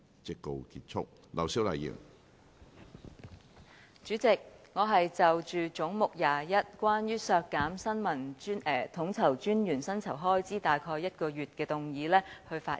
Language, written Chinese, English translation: Cantonese, 主席，我現就總目 21， 關於削減新聞統籌專員約1個月薪酬開支預算的修正案發言。, Chairman I am going to speak on the amendment moved to head 21 which seeks to deduct the estimated expenditure of about one months remuneration for the Information Coordinator